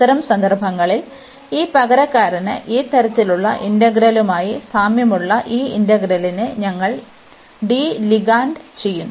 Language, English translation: Malayalam, In that case, we will de ligand this integral similar to this type of integral by just this substitution